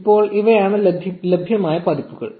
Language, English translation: Malayalam, For now, these are the versions available